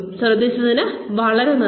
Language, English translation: Malayalam, Thank you very much for listening